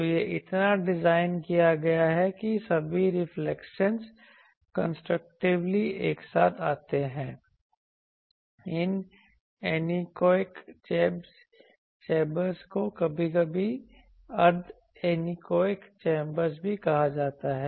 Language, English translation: Hindi, So, it is so designed that all reflections come together constructively, also there are anechoic chambers are sometimes called semi anechoic chamber